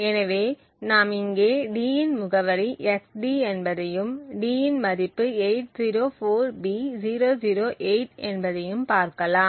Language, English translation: Tamil, So now we will also look at what the address of d is xd and what we see is that d has a value 804b008